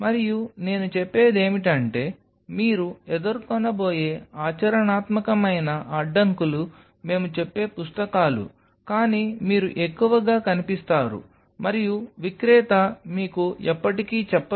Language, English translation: Telugu, And much of the things what I am telling you are the practical hurdles you are going to face which the books we will tell, but you will over look most likelihood and the seller will never tell you